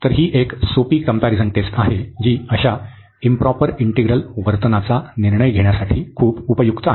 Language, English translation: Marathi, So, it is a simple comparison test, but very useful for deciding the behavior of such improper integrals